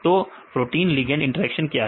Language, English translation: Hindi, So, what is the protein ligand interactions